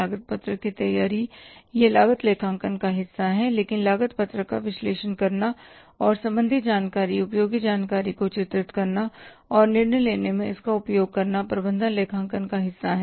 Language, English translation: Hindi, Preparation of the cost sheet is the part of cost accounting but analyzing the cost sheet and drawing the relevant information useful information and using it in the decision making is the part of the management accounting